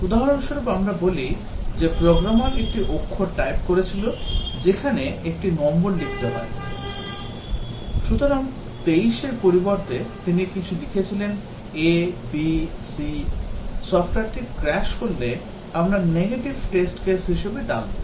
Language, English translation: Bengali, For example, let us say the programmer typed the character where a number was to be written; so instead of 23, he wrote some a, b, c will the software crash so that we will call as negative test cases